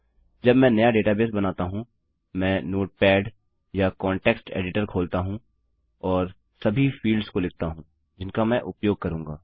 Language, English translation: Hindi, When I create a new database, I open up a notepad or a context editor and note down all the fields that Ill use